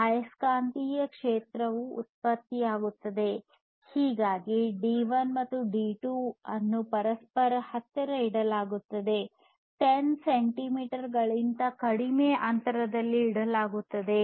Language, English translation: Kannada, So, for it to happen you need to keep the D1 and the D2 pretty close to each other, less than 10 centimeters apart